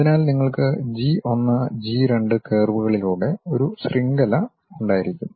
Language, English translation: Malayalam, So, you will be having a network of G 1, G 2 curves